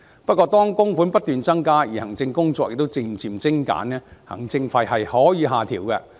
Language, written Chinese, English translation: Cantonese, 不過，當供款不斷增加，而行政工作亦漸漸精簡，行政費是可以下調的。, However as contributions continue to increase and the administrative work is gradually streamlined the administration fees can be lowered